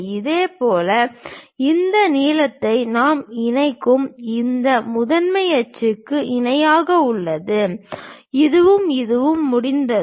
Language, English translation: Tamil, Similarly, we have this length parallel to this principal axis we connect it, this one and this one once that is done